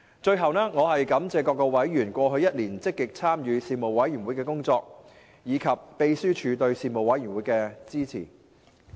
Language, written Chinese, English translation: Cantonese, 最後，我感謝各委員過去一年積極參與事務委員會的工作，以及秘書處對事務委員會的支援。, Lastly I wish to thank members for their active participation in the work of the panel and the Secretariat for providing their support to the Panel during the past year